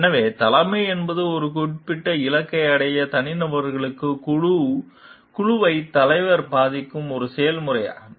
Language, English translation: Tamil, So, leadership is a process by which the leader influences a group of individuals to reach a particular goal